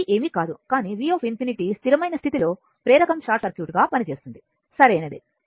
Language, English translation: Telugu, This v is nothing, but v infinity the steady state, when inductor is acting as a short circuit right